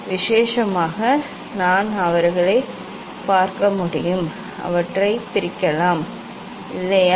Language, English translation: Tamil, whether specially we can see them, we can separate them or not